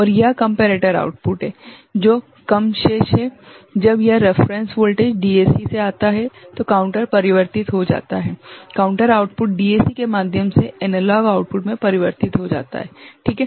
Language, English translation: Hindi, And this is the comparator output which is remaining low right, when this reference voltage coming from DAC the counter converted, counter output converted to analog output right through a DAC, ok